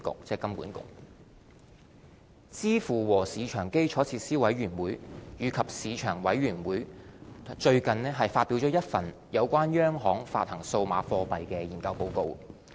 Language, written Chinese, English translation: Cantonese, 支付和市場基礎設施委員會及市場委員會最近發表了一份有關央行發行數碼貨幣的研究報告。, CPMI and MC have recently issued a CBDC study report which sets out the general consensus among the central banking community